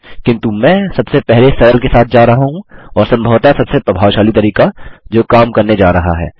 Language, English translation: Hindi, But I am going for the simplest and probably the most effective way which is going to work